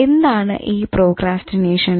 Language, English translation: Malayalam, Procrastination, what is it